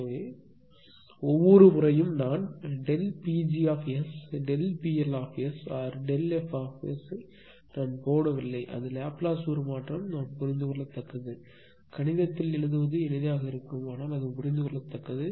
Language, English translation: Tamil, So, if you and and and every time I will not put delta P g S delta P L S or delta fs right because it is Laplace transform understandable; such that in mathematics writing will be easier right so, but it is understandable